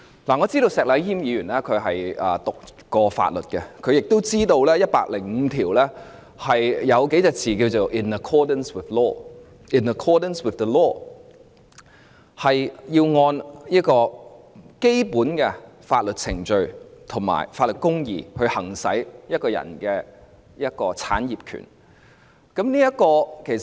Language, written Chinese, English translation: Cantonese, 我知道石禮謙議員唸過法律，相信他亦知道第一百零五條的字眼是 "in accordance with law"， 即是要按照基本的法律程序和法律公義行使一個人的產業權。, Knowing that Mr Abraham SHEK has studied law I believe he is also aware that the wording in Article 105 is in accordance with law . In other words it is necessary to exercise ones property rights in accordance with the basic legal procedures and legal justice